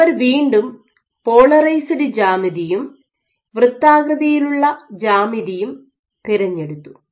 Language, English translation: Malayalam, And then they chose these two geometries again a polarized geometry and a circular geometry ok